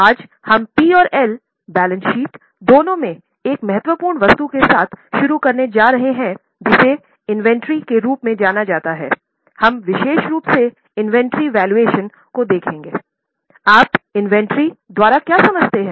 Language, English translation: Hindi, Today we are going to start with another important item in both P&L and balance sheet which is known as inventory